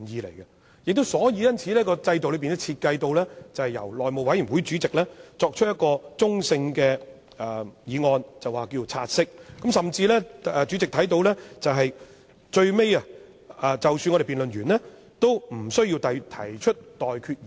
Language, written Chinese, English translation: Cantonese, 因此，根據現時的制度設計，會由內務委員會主席提出中性的議案，名為"察悉議案"，甚至，正如主席也許會留意到，即使最後議員完成辯論，主席也無須提出待決議題。, Therefore according to the present system design the Chairman of the House Committee will move a neutral motion that is the take - note motion . As the President may notice after the debate on the motion has come to a close the President does not have to put the question to Members for voting